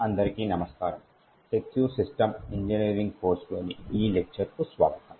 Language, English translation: Telugu, So, hello and welcome to this demonstration in the course for Secure System Engineering